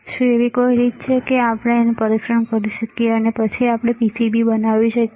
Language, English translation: Gujarati, Is there a way that we can test it, and then we make this PCB